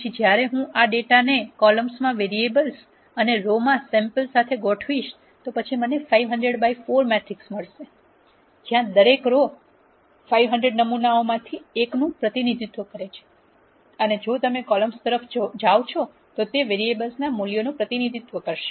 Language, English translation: Gujarati, Then when I organize this data with the variables in the columns and samples in the row, then I will get a 500 by 4 matrix, where each row represents one of the 500 samples and if you go across the column, it will represent the variable values, at all the samples that we have taken